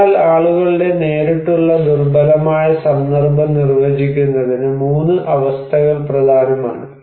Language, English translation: Malayalam, So, 3 conditions are important to define people's direct vulnerable context